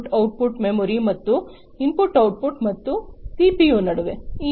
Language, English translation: Kannada, The basically, the memory to the input output, and also between the input output and the CPU